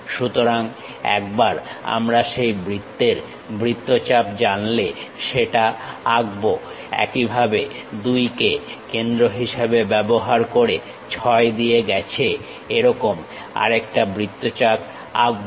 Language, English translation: Bengali, So, once we know that circle arc draw that one; similarly, using 2 as center draw another arc passing through 6